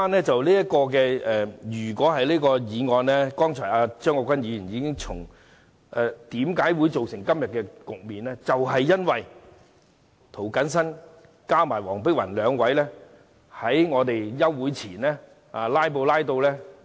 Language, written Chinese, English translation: Cantonese, 正如張國鈞議員剛才指出，我們今天仍要討論《條例草案》，是因為涂謹申議員和黃碧雲議員兩位在休會前"拉布"。, As pointed out by Mr CHEUNG Kwok - kwan just now we still have to discuss the Bill today because Mr James TO and Dr Helena WONG filibustered before the summer recess of the Council